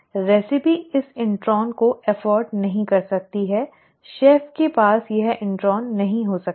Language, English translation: Hindi, The recipe cannot afford to have this intron, the chef cannot have this intron